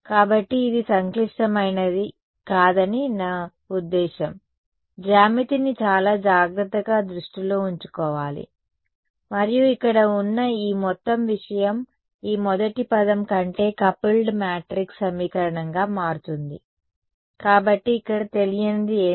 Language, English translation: Telugu, So, I mean it is not complicated, it is have to keep geometry very carefully in mind and this whole thing over here will boil down to a coupled matrix equation this first term over; so, what is the unknown over here